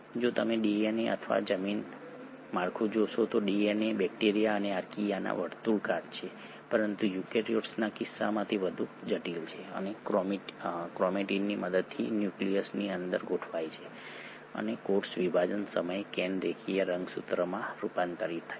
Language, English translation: Gujarati, If you were to look at DNA or the gene structure, the DNA is circular in bacteria and Archaea, but in case of eukaryotes is far more complex and with the help of chromatin is organised inside the nucleus and the can at the time of cell division convert to linear chromosomes